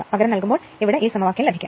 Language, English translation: Malayalam, If you substitute you will get this expression